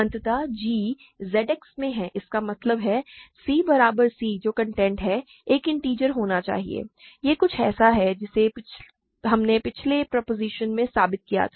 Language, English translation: Hindi, So, g is in Z X; that means, c equal c which is the content must be an integer, this is something that we proved in the last proposition